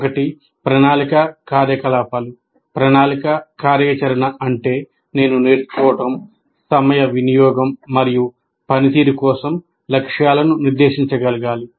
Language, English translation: Telugu, Planning activities means I should be able to set goals for learning, time use and performance